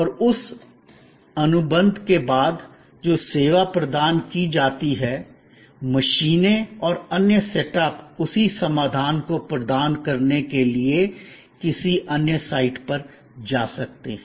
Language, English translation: Hindi, And after that contract that service is provided, the machines and other setups can move to another site to provide the same solution